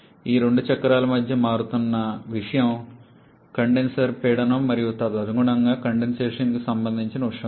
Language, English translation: Telugu, Between these two cycles the thing that is changing is the condenser pressure and accordingly the temperature corresponding to condensation